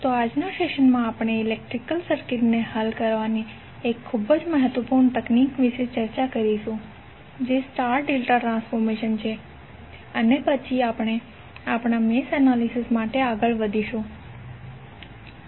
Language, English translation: Gujarati, So in today’s session, we will discuss about 1 very important technique for solving the electrical circuit that is star delta transformation and then we will proceed for our math analysis